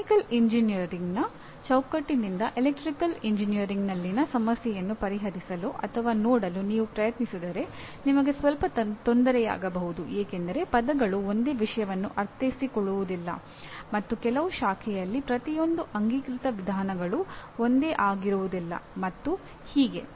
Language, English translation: Kannada, If you try to solve or look at a problem in Electrical Engineering from the framework of Mechanical Engineering you can have some difficulty because the words do not mean the same thing and some of the accepted procedures are not the same in each branch and so on